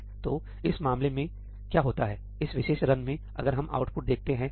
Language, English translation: Hindi, So, in this case; what happens is in this particular run if we see the output